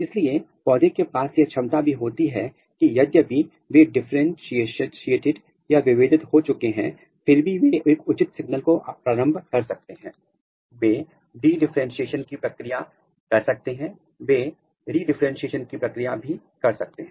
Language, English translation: Hindi, So, the plants they also have this capability that even though if they are differentiated they can initiate if proper signal is given if required, they can undergo the process of de differentiation and they can undergo the process of re differentiation